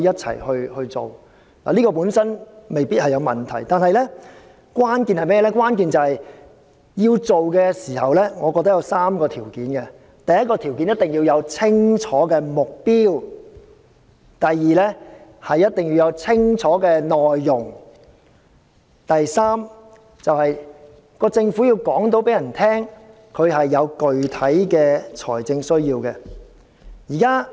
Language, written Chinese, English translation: Cantonese, 此舉本身未必有問題，但我認為關鍵是實行時必須滿足3項條件：第一，目標一定要清晰；第二，內容一定要清楚；第三，政府必須能夠說明具體的財政需要。, While this may not necessarily give rise to any problems I think the crux is that three conditions must be met in the course of implementation First there must be clear goals; second there must be precise substance; third the Government must be able to account for its specific financial needs